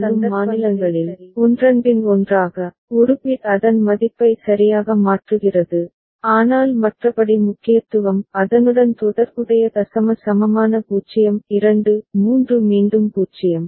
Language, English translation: Tamil, So, in two counting states, one after another, one bit is changing its value all right, but otherwise the significance the corresponding decimal equivalent 0 2 3 again 0